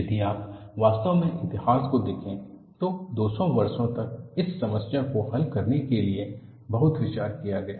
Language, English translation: Hindi, If you really look at the history, it took brilliant minds to solve this problem for 200 years